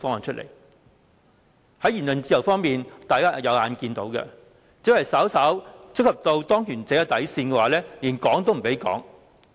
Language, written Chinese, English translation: Cantonese, 在言論自由方面，只要稍為觸及當權者的底線，便連說都不能說。, As regards freedom of speech remarks that slightly cross the bottom line of those in power cannot be made